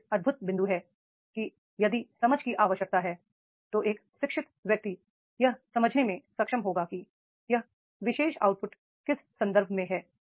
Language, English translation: Hindi, That is the if the understanding is required in educated person will be able to understand in what context this particular output is there